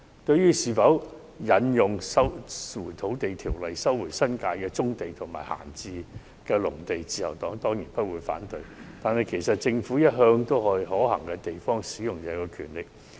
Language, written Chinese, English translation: Cantonese, 對於是否引用《收回土地條例》收回新界的棕地及閒置農地，自由黨當然不反對，但其實政府向來都對可行的地方行使這種權力。, In respect of whether the Lands Resumption Ordinance should be invoked in resuming the brownfield sites and idle agricultural lands in the New Territories while the Liberal Party certainly has no objection the Government has all along exercised such power wherever possible